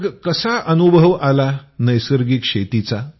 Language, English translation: Marathi, What experience did you have in natural farming